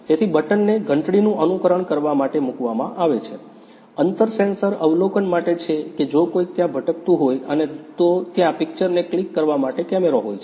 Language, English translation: Gujarati, So, the button is put inside to simulate a bell, the distance sensor is for observing if someone is wandering around and there is a camera for clicking an image